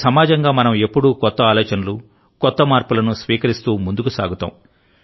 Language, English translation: Telugu, As a society, we have always moved ahead by accepting new ideas, new changes